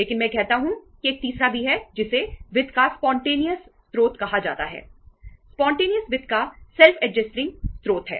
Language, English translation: Hindi, But I say that there is a third one also which is called the spontaneous source of finance